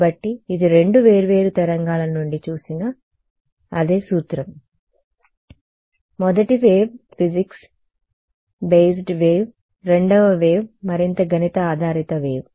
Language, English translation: Telugu, So, it is the same principle seen from two different waves; the first wave is the physics based wave the second wave is a more math based wave ok